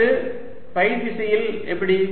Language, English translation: Tamil, now next, how about in direction phi